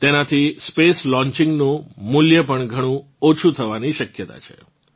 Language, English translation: Gujarati, Through this, the cost of Space Launching is estimated to come down significantly